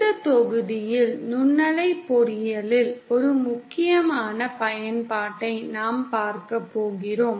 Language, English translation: Tamil, And in this module we are going to cover an important application of microwave engineering, which is matching